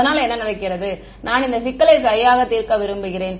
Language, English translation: Tamil, So, what happens is that I want to solve this problem right